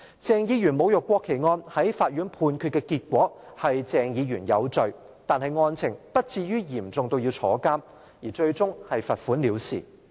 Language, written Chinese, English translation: Cantonese, 鄭議員侮辱國旗案在法院判決的結果是鄭議員有罪，但案情不至於嚴重至入獄，最終是罰款了事。, The Court convicted Dr CHENG of desecrating the national flag but the conviction was not serious enough for imprisonment and a fine was imposed instead